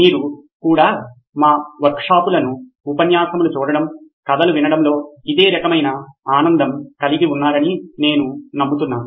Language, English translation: Telugu, I hope you had the same kind of fun also listening to this, watching our workshops watching the lectures, listening to the stories as well